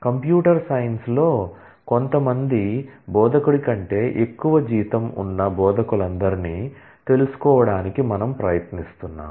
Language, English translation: Telugu, And we are trying to find out all instructor who have higher salary than some instructor in computer science